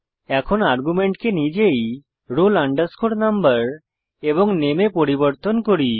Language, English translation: Bengali, Now, let me change the arguments to roll number and name itself